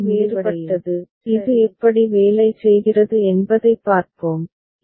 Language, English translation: Tamil, So, let us see how it works for which we have a different, this table right